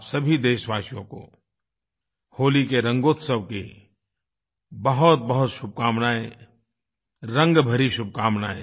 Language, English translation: Hindi, I wish a very joyous festival of Holi to all my countrymen, I further wish you colour laden felicitations